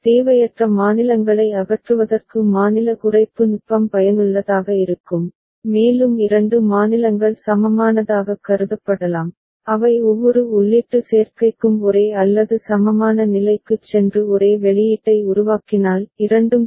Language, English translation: Tamil, And state reduction technique is useful for removing redundant states and two states can be considered equivalent, if they move to same or equivalent state for every input combination and also generate same output so, both are required